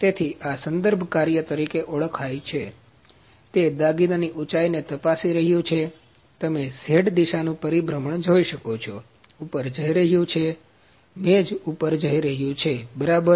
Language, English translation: Gujarati, So, this is known as referencing; it is checking the height the height of the job you can see the rotation of the z direction, is moving up, the table is moving up, ok